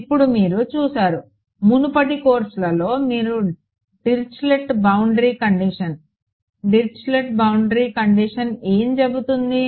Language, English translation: Telugu, Now you have seen so, far in previous courses you have seen Dirichlet boundary conditions what would Dirichlet boundary condition say